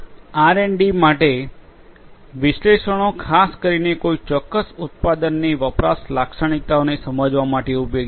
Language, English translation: Gujarati, For R and D analytics is useful to basically understand the usage characteristics of a particular product